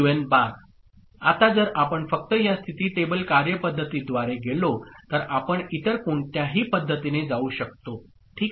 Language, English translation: Marathi, Now if we just go by the state table method we can go by any other method